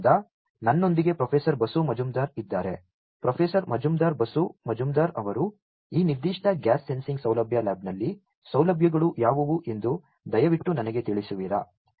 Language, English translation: Kannada, So, I have with me Professor Basu Majumder; Professor Majumder Basu Majumder would you please tell me what are the facilities in this particular gas sensing facility lab